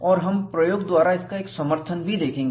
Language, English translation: Hindi, And, we will also see a support from experiment